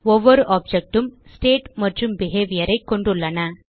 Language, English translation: Tamil, Each object consist of state and behavior